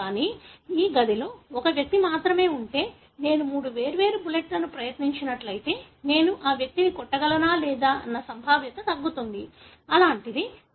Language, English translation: Telugu, But, if it is only one individual in this room, if I tried three different bullets, then whether or not I will be able to hit that person the probability goes down, something like that